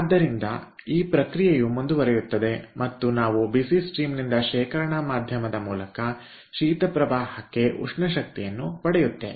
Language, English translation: Kannada, so this process will continue and we will get heat exchange from the hot stream to the cold stream via a storage medium